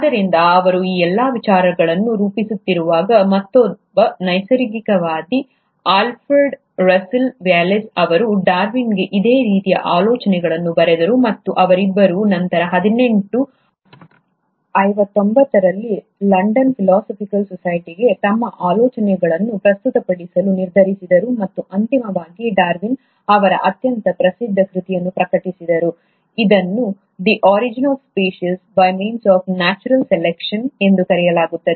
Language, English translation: Kannada, So while he was formulating all these ideas, there was another naturalist, Alfred Russell Wallace, who wrote to Darwin bit similar ideas and the two of them then decided to present their ideas to the London Philosophical Society in eighteen fifty nine, and eventually Darwin published his most famous work, which is called as ‘The origin of species by means of natural selection’